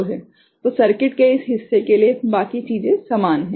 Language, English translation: Hindi, So, rest of things are similar for this part of the circuit right